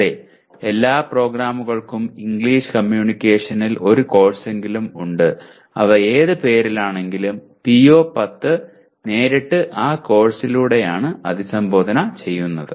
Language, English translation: Malayalam, Yes, all programs have at least one course in English Communication whatever name they give but PO10 is directly addressed by that course